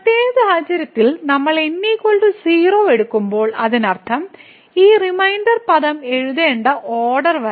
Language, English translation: Malayalam, So, in the special case when we take is equal to 0 so that means, this up to the order one we have to write this reminder term